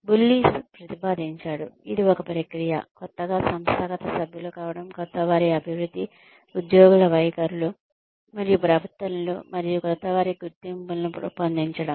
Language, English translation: Telugu, Bullis proposes that, it is a process through which, newcomers become organizational members includes newcomer acculturation, employee attitudes and behaviors, and the shaping of newcomers